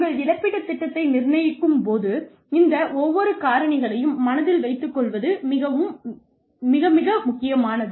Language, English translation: Tamil, Very, very, important to keep, each of these factors in mind, while determining your compensation plan